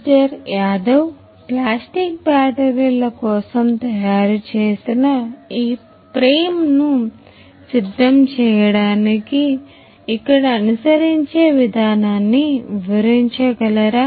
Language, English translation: Telugu, Yadav could you please explain the process that is followed over here in order to prepare this frame that is made for the batteries, the plastic batteries